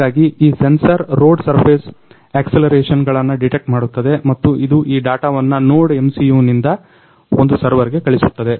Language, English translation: Kannada, So, these sensor detects the accelerations about the road surface and it send this data from the NodeMCU, from the NodeMCU these data is going to send one server